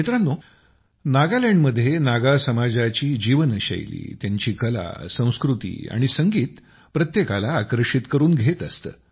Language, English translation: Marathi, Friends, the lifestyle of the Naga community in Nagaland, their artculture and music attracts everyone